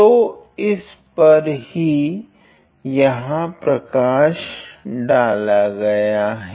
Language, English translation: Hindi, So, that is what highlighted in this figure here